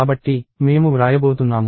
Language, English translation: Telugu, So, I am going to write